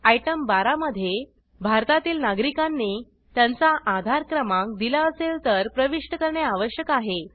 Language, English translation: Marathi, Item 12 Citizens of India, must enter their AADHAAR number, if allotted